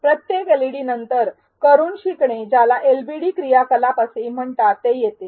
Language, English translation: Marathi, Every LeD is followed by a Learning by Doing also called as LbD activity